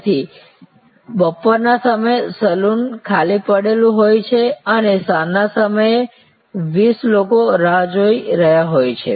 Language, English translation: Gujarati, So, the saloon may be lying vacant during afternoon hours and may be 20 people are waiting in the evening hours